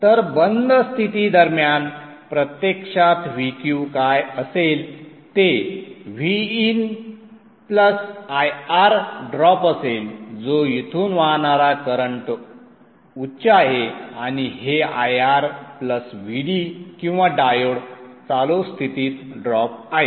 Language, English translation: Marathi, So what actually will be VQ during the off state would be V Q during the off state would be VN plus I R drop whatever is the current I that flows through here and let's say this is R plus VD or the diode on state drop